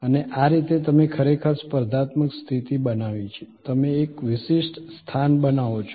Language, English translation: Gujarati, And this is the way you actually created competitive position, you create a distinctive position